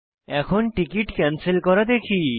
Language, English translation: Bengali, We will now see how to cancel a ticket